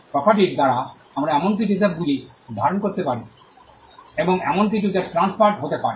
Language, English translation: Bengali, By property we understand as something that can be possessed, and something that can be transferred